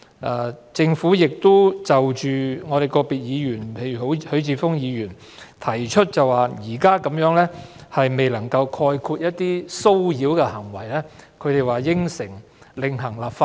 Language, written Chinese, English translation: Cantonese, 關於個別議員提出的意見，例如許智峯議員提出這項《條例草案》未能涵蓋一些騷擾行為，政府承諾會另行立法。, As regards other views raised by individual Members such as Mr HUI Chi - fung raised the point that the Bill has not covered certain acts of harassment the Government promised to deal with those issues in another legislative exercise